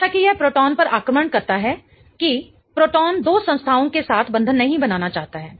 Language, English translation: Hindi, As it attacks that proton, the proton doesn't want to form bonds with two entities